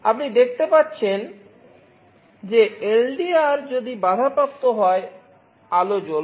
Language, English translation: Bengali, You see if LDR is interrupted, the light is glowing